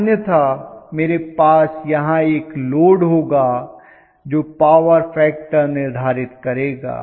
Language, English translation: Hindi, Otherwise I will have a load here which will determine the power factor